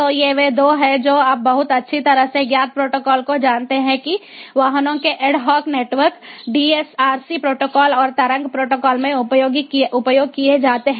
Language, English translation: Hindi, so these are the two ah, you know very, ah, well known protocols that are used in vehicular ad hoc network: the dsrc protocol and the wave protocol